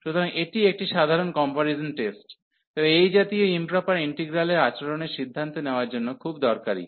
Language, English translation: Bengali, So, it is a simple comparison test, but very useful for deciding the behavior of such improper integrals